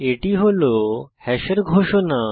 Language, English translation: Bengali, This is the declaration of hash